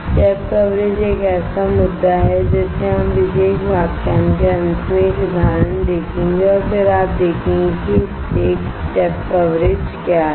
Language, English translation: Hindi, The step coverage is an issue we will see one example at the end of this particular lecture and then you will see that what is a step coverage